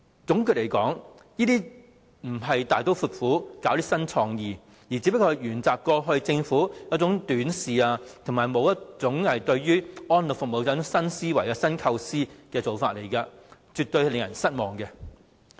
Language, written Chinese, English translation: Cantonese, 總括來說，這些並不是大刀闊斧、具備新創意，而只是沿襲政府過去短視及對於安老服務沒有新思維、新構思的做法，是絕對令人失望的。, In general they are not decisive bold and innovative . They are just initiatives following the Governments short - sighted conservative and non - innovative way of thinking and approach in delivering elderly services . It is totally disappointing